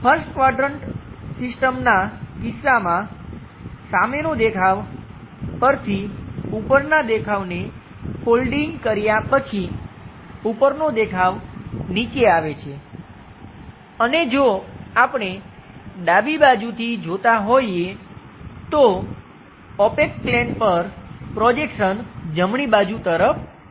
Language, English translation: Gujarati, In case of 1st quadrant system, the front view after folding it from top view comes at bottom and if we are looking from left hand side, the view comes on to the projection onto this opaque plane of left hand side uh to the right side